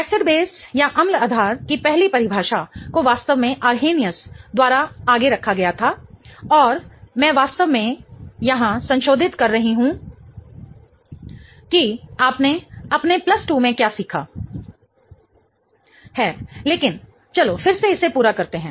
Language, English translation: Hindi, The first definition of acids and basis was really put forth by Arranius and I'm really revising here what you have learnt in your plus 2 but let's just go over it again